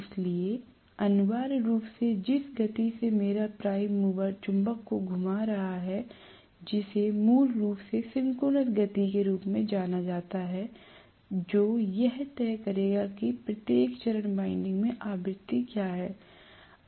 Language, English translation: Hindi, So essentially the speed at which my prime mover is rotating the magnet that is basically known as the synchronous speed, which will decide what frequency is induce in each of the phase windings